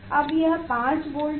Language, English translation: Hindi, now, it is 5 volt